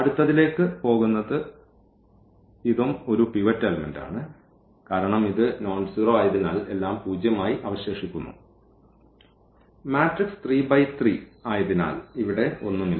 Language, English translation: Malayalam, Going to the next this is also a pivot element because this is nonzero and everything left to zero and there is nothing here because the matrix was this 3 by 3